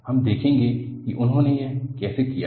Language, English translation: Hindi, You would see how he has done